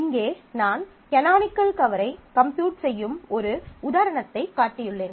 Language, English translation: Tamil, So, here I have shown an example where we want to compute the canonical cover here